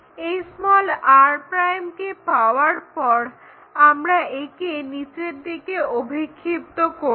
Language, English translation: Bengali, Once r' is there we can project that all the way down to construct r